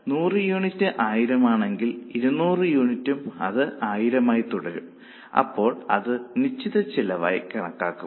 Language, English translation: Malayalam, So, for 100 units if cost is 1,000, for 200 unit also it remains 1,000, then that will be considered as fixed costs